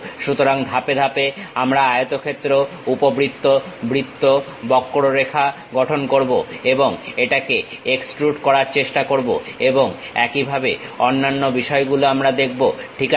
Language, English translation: Bengali, So, step by step we will construct rectangle, ellipse, circle, curves, and try to extrude it and so on other things we will see, ok